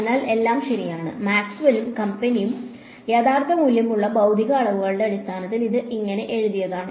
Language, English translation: Malayalam, So, this is all fine, this is how Maxwell and company had written it in terms of real valued physical quantities ok